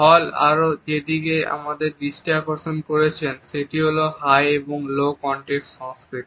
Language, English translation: Bengali, Another aspect towards which Hall has drawn our attention is of high and low context cultures